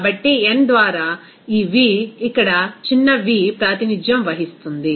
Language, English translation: Telugu, So, this V by n is represented here small v